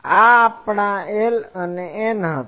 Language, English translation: Gujarati, This was our N and L was